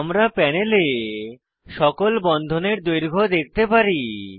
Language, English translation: Bengali, We can see on the panel all the bond lengths are displayed